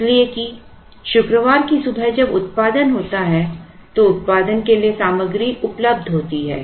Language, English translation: Hindi, So, that on Friday morning when the production happens the material is available for production